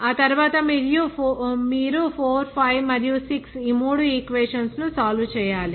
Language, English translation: Telugu, After that, you have to solve these three equations that 4 5 and 6